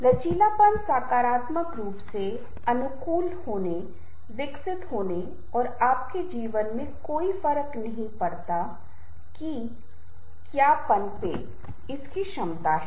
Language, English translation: Hindi, resilience is the ability to positively adopt, grow and thrive no matter what rides into your life